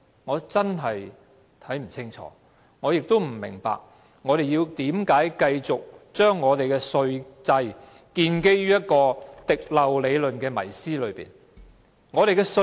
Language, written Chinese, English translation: Cantonese, 我真的不清楚，亦不明白，為甚麼我們要繼續讓我們的稅制建基於一個滴漏理論的迷思。, I really do not know or understand why we should continue to allow our tax regime to be based on the myth of a trickling - down theory